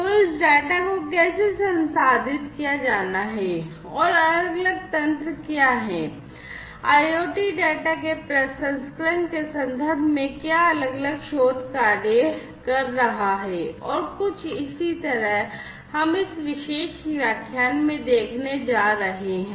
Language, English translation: Hindi, So, how this data has to be processed and what are the different mechanisms in place, what are the different research works that are going on in terms of processing of IoT data and so on is what we are going to look at in this particular lecture and the next